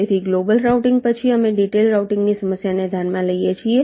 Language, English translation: Gujarati, so, after global routing, we consider the problem of detailed routing